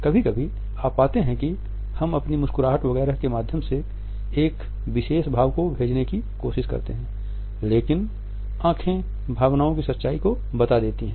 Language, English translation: Hindi, Sometimes you would find that we try to pass on a particular emotion through our smiles etcetera, but eyes communicate the truth of the emotions